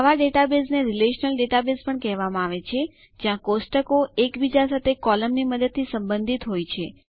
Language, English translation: Gujarati, Such a database is also called a relational database where the tables have relationships with each other using the columns